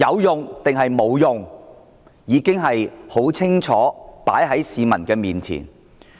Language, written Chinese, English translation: Cantonese, 答案已經清楚放在市民面前。, The answer is obvious enough for members of the public